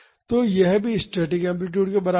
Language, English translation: Hindi, So, this is also equal to the static amplitude